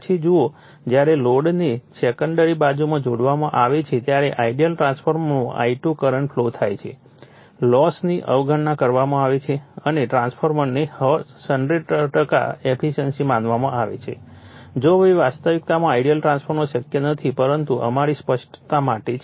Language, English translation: Gujarati, Then you see, this when a load is connected across the secondary winding a current I2 flows in an ideal transformeRLosses are neglected and a transformer is considered to bE100 percent efficient right, although the reality ideal transformer is not possible, but for the sake of our clarification